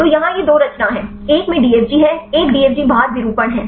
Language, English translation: Hindi, So, here this is the two conformation; one is a DFG in, one is DFG out conformation